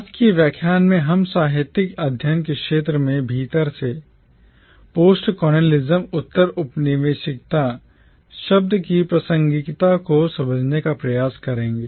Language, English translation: Hindi, In today’s lecture we will try to understand the relevance of the term postcolonialism from within the field of literary studies